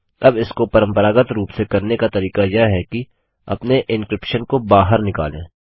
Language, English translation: Hindi, Now the way we can do it traditionally is by taking out our encryption